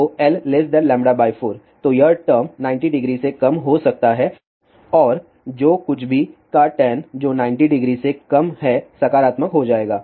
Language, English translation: Hindi, If L is less than lambda by 4 then this term will be less than 90 degree and tan of anything which is less than 90 degree will be positive